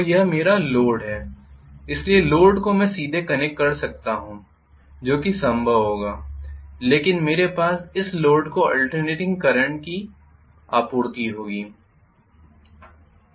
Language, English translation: Hindi, So this is my load, so load I can connect directly that will be possible but I will have alternating current supplied to this loads